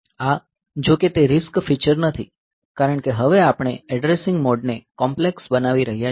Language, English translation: Gujarati, So, this though it is not a RISC feature because now; we are making the addressing mode complex ok